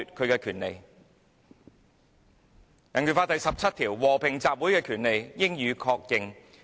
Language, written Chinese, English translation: Cantonese, 根據香港人權法案第十七條，"和平集會之權利，應予確認。, According to Article 17 of the Hong Kong Bill of Rights The right of peaceful assembly shall be recognized